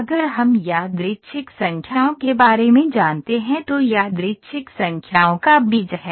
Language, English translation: Hindi, If we know about random numbers stream is the seed of the random numbers